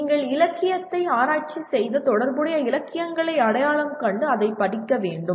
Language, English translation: Tamil, You have to research the literature and identify the relevant literature and study that